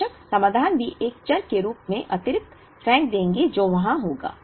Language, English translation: Hindi, Of course, the solutions would also throw the excess as a variable which will be there